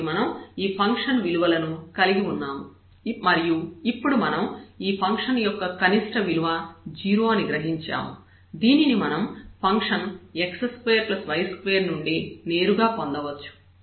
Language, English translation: Telugu, So, we have these functions values and we realize now here this is the minimum value of the function takes which is naturally true and directly we can get from the function itself where, the function is x square plus y square